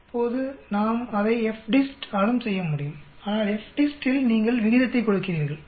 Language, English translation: Tamil, Now we can do it by FDIST also, but in the FDIST you are giving the ratio